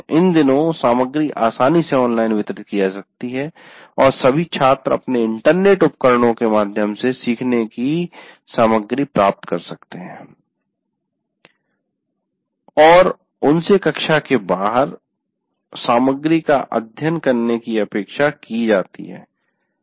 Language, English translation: Hindi, The content these days can easily be delivered online and all students have access to their devices to get connected to online and they are expected to study the material outside the classroom